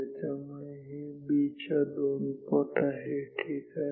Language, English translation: Marathi, So, this is 2 times B ok, this is 2 times B